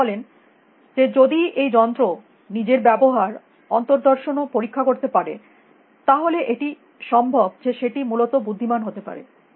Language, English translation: Bengali, He says that if this machine can introspect and examine its own behavior, then it is possible for it to become intelligent essentially